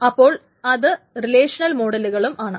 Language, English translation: Malayalam, So this can be relational models as well